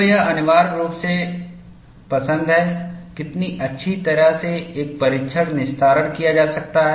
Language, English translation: Hindi, So, it is essentially like, how well a test can be salvaged